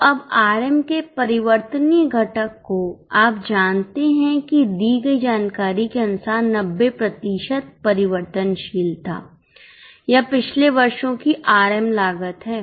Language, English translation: Hindi, So, now variable component of RM, you know that as per the given information 90% was variable